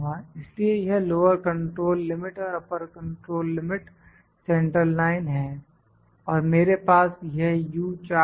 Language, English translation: Hindi, So, it is lower control limit, upper control limit, central line and I have this U chart